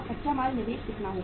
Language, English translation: Hindi, Raw material is how much